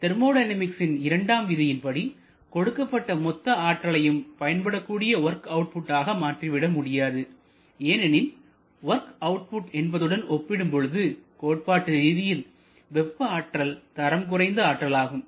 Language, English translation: Tamil, And as from the second law of thermodynamics we know that complete conversion of thermal energy to work output is not possible because heat is a lower grade concept type of energy compared to work